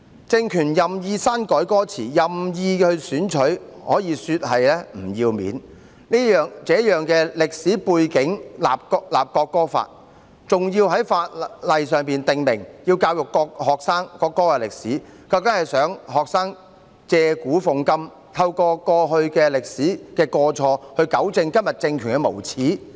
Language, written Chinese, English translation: Cantonese, 政權任意篡改歌詞，可說是不要臉，在這樣的歷史背景下制定國歌法，還要在法例訂明要教育學生國歌的歷史，究竟想學生借古諷今，透過歷史的過錯，糾正今天政權的無耻？, The regime had arbitrarily altered the lyrics in a shameless way . When it is enacting a national anthem law under such a historical background and the law provides for educating the students on the history of the national anthem does it actually want the students to satirize the present by referring to the past and make use of historical mistakes to rectify the brazenness of the regime today?